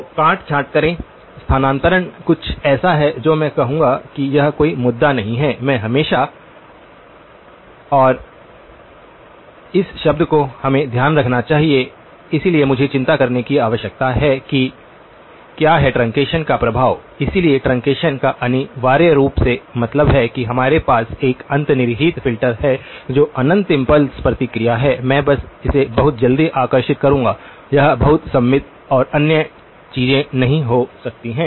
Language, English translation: Hindi, So, truncate; the shifting is something that I would say is not going to be an issue, I can always (()) (03:10)), and this term which we need to take care, so what I need to worry of what is the effect of truncation so, truncation essentially means that we have an underlying filter that is infinite impulse response, I will just draw it very quickly, it may not be very symmetric and other things